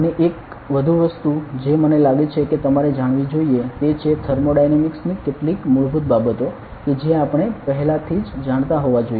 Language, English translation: Gujarati, And one more thing that I think you should know is; some basics of thermodynamics that we must have known before ok